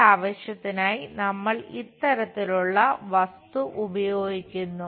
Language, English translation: Malayalam, For that purpose, we use this kind of object